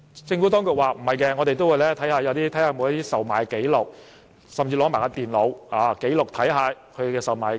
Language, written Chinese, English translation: Cantonese, 政府當局不認同，它會視乎有否售賣紀錄，甚至會取走電腦，看看售賣紀錄。, The Administration does not think so saying that it will take away the computer to see if there is any transaction records stored in it